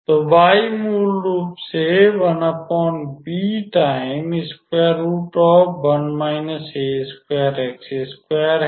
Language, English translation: Hindi, So, this is our y actually